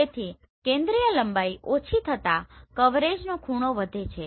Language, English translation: Gujarati, So angle of coverage increases as the focal length decreases